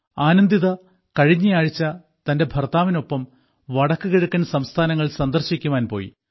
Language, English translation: Malayalam, Anandita had gone to the North East with her husband last week